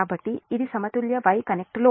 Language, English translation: Telugu, so this is balanced y connected load